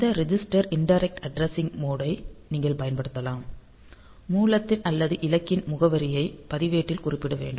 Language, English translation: Tamil, You can use this register indirect mode the address of the source or destination is specified in register